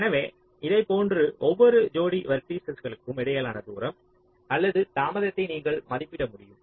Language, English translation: Tamil, so like this you can estimate the distance or the delay between every pair of vertices